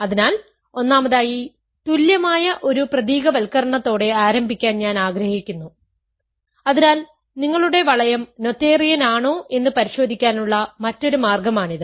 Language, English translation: Malayalam, So, first of all I want to start with an equivalent characterization, so, another way to check if your ring is noetherian